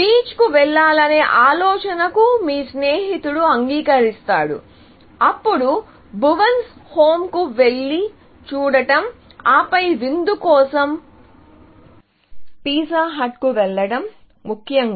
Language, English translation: Telugu, You have found the solution; your friend is agreeable to the idea of going to the beach; then, going and watching Bhuvan’s Home, and then, going to the pizza hut for dinner, essentially